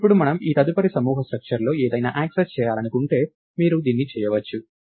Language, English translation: Telugu, Now, if we want to access something in this next nested structure you could do this